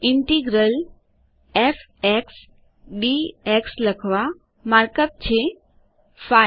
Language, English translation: Gujarati, To write Integral f x d x, the markup is,5